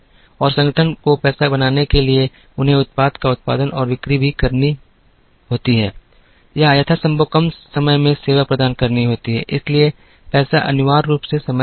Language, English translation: Hindi, And in order for the organization to make money, they also have to produce and sell a product or provide a service in as short a manner as possible, so money is essentially time